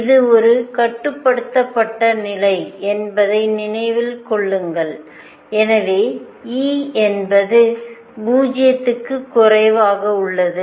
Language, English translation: Tamil, Keep in mind that this is a bound state and therefore, E is less than 0